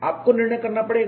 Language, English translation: Hindi, You will have to decide